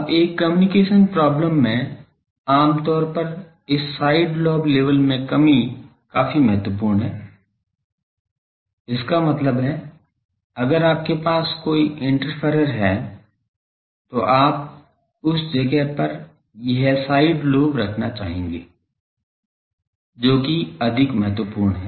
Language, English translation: Hindi, Now, in a communication problem generally this side lobe level reduction is more important; that means, if you have an interferer nearby then you want to put a side lobe to that place that is more important